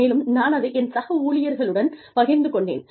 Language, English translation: Tamil, And, I shared that, with my colleagues